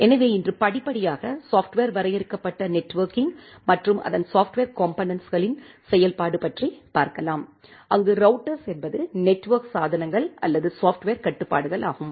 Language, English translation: Tamil, So today, we will gradually go towards an implementation perspective of the software defined networking and the software component of it, where the routers are the network devices or software controls